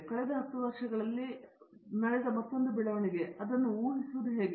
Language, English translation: Kannada, The another development that has happened in the last 10 years is how to predict them